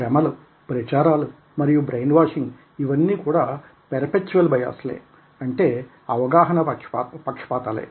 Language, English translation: Telugu, when we are talking about propaganda, when we are talking about brain washing, these are perceptual biases